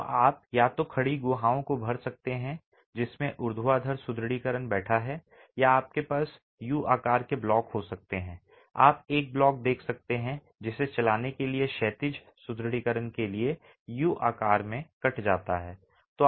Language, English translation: Hindi, So, you could either vertically fill the cavities in which the vertical reinforcement is sitting or you might have the U shape blocks, you can see a block which is cut in the shape of U for the horizontal reinforcement to run